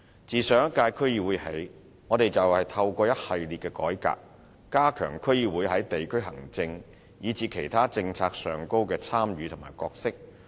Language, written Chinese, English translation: Cantonese, 自上一屆區議會起，我們便透過一系列改革，加強區議會在地區行政以至其他政策上的參與和角色。, Since the last term of DCs we have been enhancing the participation and role of DCs in district administration as well as other policies through a series of reforms